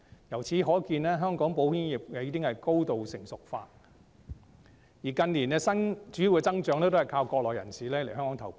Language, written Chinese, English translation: Cantonese, 由此可見，香港保險業已經高度成熟化，而近年的主要增長是依靠國內人士來港投保。, From these it is evident that the insurance industry of Hong Kong has become highly mature and the main growth in recent years has relied on insurance purchases by Mainlanders coming to Hong Kong